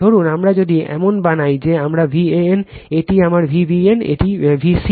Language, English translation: Bengali, Suppose, if we make like this is my V a n, this is my V b n, this is my V c n